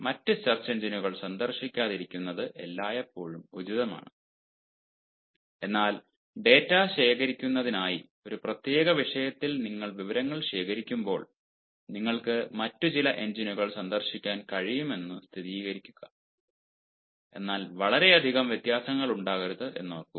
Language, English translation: Malayalam, it is always advisable not to visit other search engines, but then, when you have gathered data on a particular topic for data collection ah, in order to verify, you can visit some other ah engines, but remember there should not be too much of ah say, differences